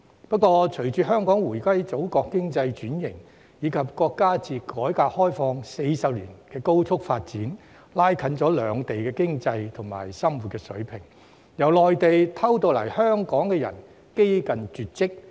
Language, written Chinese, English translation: Cantonese, 不過，隨着香港回歸祖國，經濟轉型，以及國家自改革開放40年來的高速發展，拉近兩地經濟及生活水平，由內地偷渡來港的人幾近絕跡。, However after Hong Kongs economic restructuring following our return to the Motherland and Chinas rapid development after 40 years of reform and opening up the gap between the Mainland and Hong Kong has been narrowed in terms of economic development and living standard